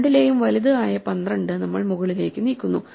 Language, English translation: Malayalam, So, we move the larger of the two up namely 12